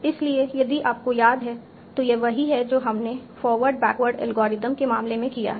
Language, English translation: Hindi, So if you remember it's analogous to what we did in the case of forward backward algorithm